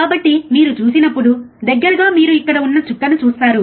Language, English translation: Telugu, So, guys when you see, close you will see a dot which is here, right here